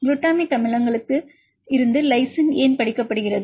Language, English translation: Tamil, Why they study lysine to glutamic acids